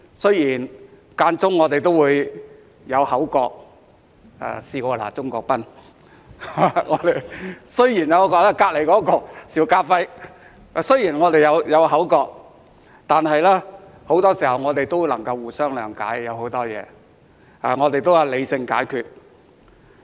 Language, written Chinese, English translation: Cantonese, 雖然間中我們也會有口角，我曾試過罵鍾國斌議員和他旁邊的邵家輝議員，但很多時候，我們也能互相諒解，對很多事情，我們都是理性解決。, Although there were occasional spats and I have rebuked Mr CHUNG Kwok - pan and also Mr SHIU Ka - fai who is sitting next to him most of the time we could understand each other and resolved many issues rationally